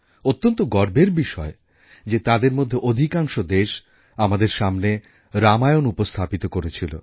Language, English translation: Bengali, And it's a matter of immense pride that a majority of these countries presented the Ramayan in front of us